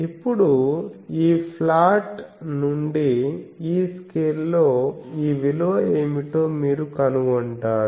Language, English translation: Telugu, And now, from this plot, you find out what is this value in this scale